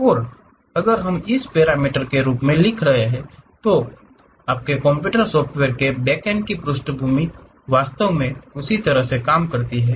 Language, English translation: Hindi, And, if we are writing it in parameter form so, the background of your or back end of your computer software actually works in that way